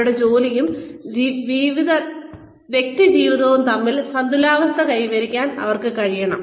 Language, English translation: Malayalam, They also need to be, able to achieve a balance, between their work and personal lives